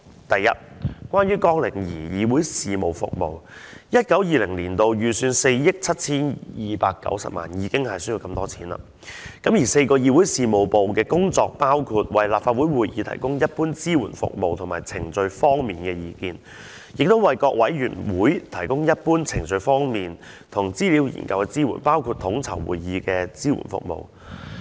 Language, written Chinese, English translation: Cantonese, 首先，關於綱領2議會事務服務 ，2019-2020 年度的預算為4億 7,290 萬元，已經需要這麼多錢；而4個議會事務部的工作，包括為立法會會議提供一般支援服務及程序方面的意見，亦為各委員會提供一般、程序方面和資料研究的支援，包括統籌會議的支援服務。, First of all under Programme 2 Council Business Services the financial provision is estimated to be 472.9 million which is quite a large sum of money . The work of the four Council Business Divisions involves providing general support services and procedural advice for meetings of the Council and providing general procedural and research support for committees including coordination of support services for meetings